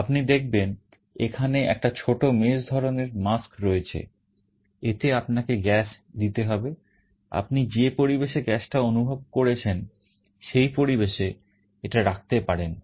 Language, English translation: Bengali, You see there is a small mesh kind of a mask where you have to give that gas, you can put it in the environment where you are sensing the gas